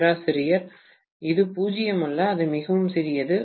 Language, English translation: Tamil, It is not 0, it is very small